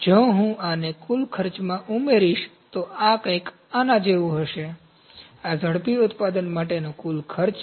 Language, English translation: Gujarati, If I add this to the total cost, so this will be something like this, this is the total cost for rapid manufacturing